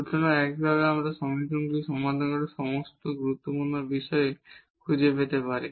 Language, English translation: Bengali, So, in this way we can find all the critical points by solving these equations